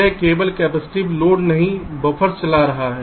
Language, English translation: Hindi, it is only driving the buffers, not the capacitive loads